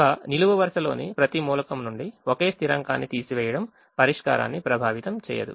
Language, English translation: Telugu, subtracting the same constant from every element in a column will not affect the solution